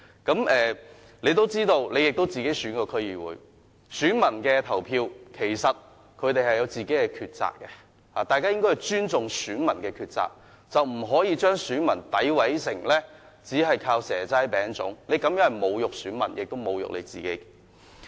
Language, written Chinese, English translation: Cantonese, 他自己也曾參選區議會，所以他應該知道選民在投票時有自己的抉擇，大家應尊重選民的抉擇，不應將他們詆毀成只想要"蛇齋餅粽"，他這樣說是侮辱選民，也侮辱了自己。, Since he has the experience of running in the DC elections he should know electors have their own preferences in casting their votes . We should respect their choice rather than slinging mud at them saying they merely want seasonal delicacies . His remarks have insulted both the electors and himself